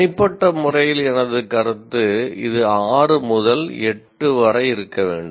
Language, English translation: Tamil, Though personally my view is that it should be between 6 and 8